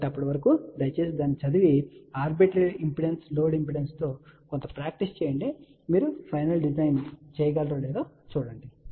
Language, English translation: Telugu, So, till then please read it and do some practice with arbitrary load impedance and see if you can do the final design